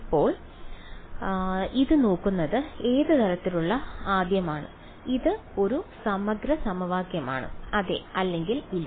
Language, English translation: Malayalam, Now looking at this what kind of a first of all is it an integral equation, yes or no